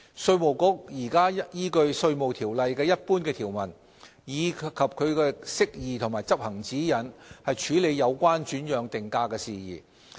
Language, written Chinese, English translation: Cantonese, 稅務局現時依據《稅務條例》的一般條文，以及其釋義及執行指引，處理有關轉讓定價的事宜。, At present the Inland Revenue Department IRD relies on the general provisions in IRO and its Departmental Interpretation and Practice Notes to deal with transfer pricing issues